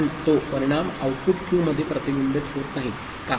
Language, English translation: Marathi, But that effect does not get reflected in the output Q – why